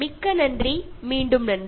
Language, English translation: Tamil, Thank you so much, thanks again